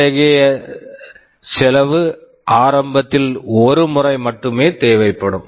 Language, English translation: Tamil, This will be required only once at the beginning